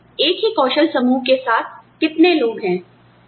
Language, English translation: Hindi, How many people are there, with the same skill set, as you